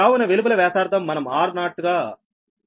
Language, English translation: Telugu, so outside radius, we are taking r zero, right